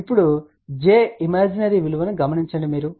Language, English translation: Telugu, Now, read the imaginary value which is minus j 1